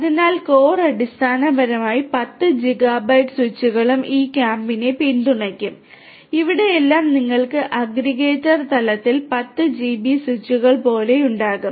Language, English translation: Malayalam, So, core basically will be something like 10 gigabit switches will support this core, here also you are going to have at the aggregator level also you can have something like 10 GB switches